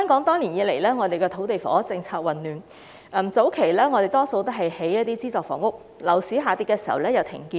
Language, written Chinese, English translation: Cantonese, 多年來，香港的土地房屋政策混亂，早期較多興建資助房屋，在樓市下跌時又停建。, Over the years Hong Kongs land and housing policy has been incoherent which initially produced more subsidized housing units but then suspended when the property market slumped